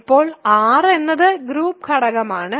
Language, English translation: Malayalam, Now, r is an arbitrary group element